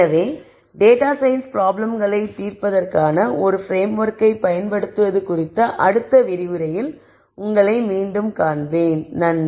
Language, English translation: Tamil, So, I will see you again in the next lecture on the use of a framework for solving data science problems